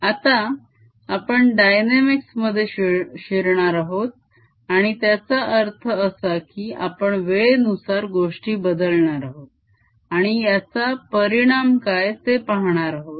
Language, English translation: Marathi, now we are going to go into dynamics and what that means is we are going to change things with time and see what is the effect of this